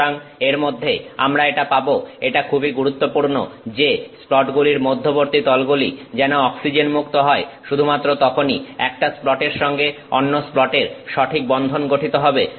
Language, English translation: Bengali, So, we will get to that the in between it is very important that the interface between the splats be oxygen free, only then it forms nice proper bond between one splat and the other splat